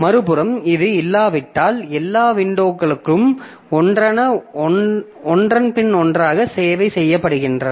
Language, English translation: Tamil, On the other hand, if this was not there, then all the windows they are serviced one after the other